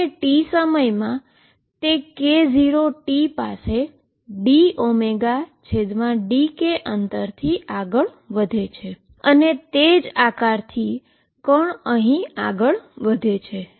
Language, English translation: Gujarati, And in time t this fellow moves by a distance d omega by d k calculated at k 0 t and moves same shape the particle has reached here